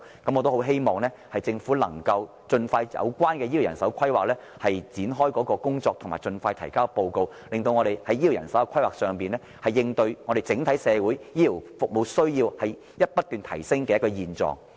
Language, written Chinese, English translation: Cantonese, 我很希望政府盡快就醫療人手規劃展開工作，以及盡快提交報告，令我們在醫療人手的規劃上，能夠應對整體社會對醫療服務的需要不斷提升的現狀。, I very much hope that the Government can expeditiously commence work on healthcare manpower planning and submit a report to enable us to meet the rising demands for healthcare services by way of healthcare manpower planning